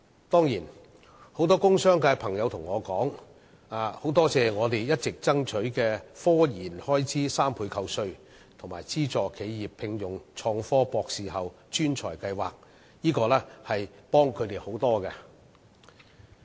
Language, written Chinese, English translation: Cantonese, 當然，很多工商界朋友也告訴我，說感謝我們一直爭取科研開支3倍扣稅，以及資助企業聘用創科博士後專才的計劃，這些對他們也有很大幫助。, Of course many friends in the industrial sector have expressed to me their gratitude for our continued fight for the 300 % tax deduction for research and development expenditure and schemes providing funding support for recruitment of postdoctoral talent in innovation and technology . They consider these measures enormously helpful to them